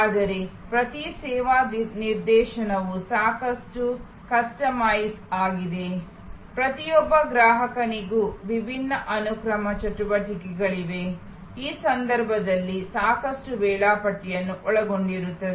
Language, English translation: Kannada, But, each service instance is quite customized, there are different sequences of activities for each individual customer and in these cases of course, there is lot of scheduling involved